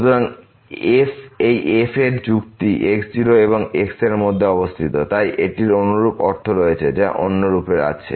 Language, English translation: Bengali, So, this argument of this lies between and , so it has the same similar meaning what the other form has